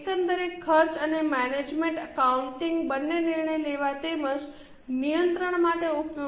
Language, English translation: Gujarati, Overall cost and management accounting will be useful for both decision making as well as control